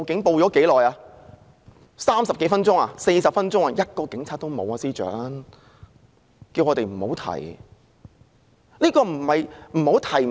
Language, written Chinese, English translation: Cantonese, 便是30多分鐘，接近40分鐘，連1名警察也看不到，司長還叫我們不要再提。, In more than 30 minutes almost close to 40 minutes there was not a single policeman in sight . And the Chief Secretary still asked us not to mention it again